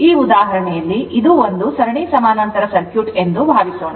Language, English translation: Kannada, Suppose take this example that is one series parallel circuit